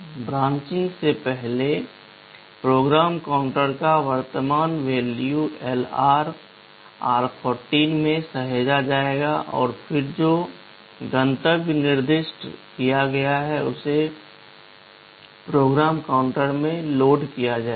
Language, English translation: Hindi, Before branching, the current value of the PC will be saved into LR and then the destination which is specified will be loaded into PC